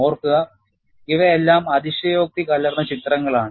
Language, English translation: Malayalam, Mind you, these are all highly exaggerated pictures